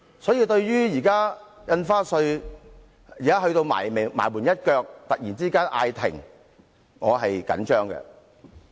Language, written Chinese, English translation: Cantonese, 所以，對於《2017年印花稅條例草案》在臨門一腳突然被叫停，我表示關注。, Hence seeing that at this critical stage when the ball is about to be kicked into the goal the Government suddenly withdraws the Stamp Duty Amendment Bill 2017 the Bill I am greatly concerned